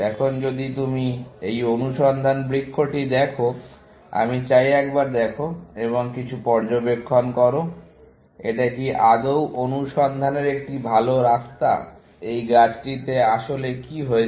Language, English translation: Bengali, Now, if you look at this search tree, I want you to look at this, and make some observations; is it a good way of searching, or what is happening in this tree